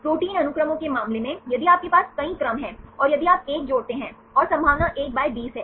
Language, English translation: Hindi, In the case of protein sequences, if you have a several sequences and if you add 1 and the probability is 1 by 20 right